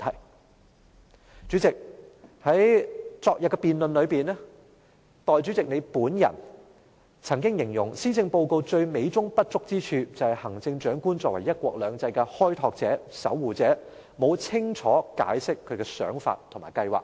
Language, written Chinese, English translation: Cantonese, 代理主席，在昨天的辯論上，代理主席你本人曾經形容施政報告最美中不足之處就是行政長官作為"一國兩制"的開拓者、守護者，沒有清楚解釋她的想法和計劃。, Deputy President during the debate yesterday you personally said that the only blemish in the Policy Address was that as a pioneer and guardian of one country two systems the Chief Executive had not clearly explained her thoughts and plans